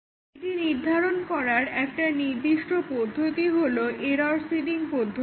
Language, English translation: Bengali, So, one way to determine it is called as error seeding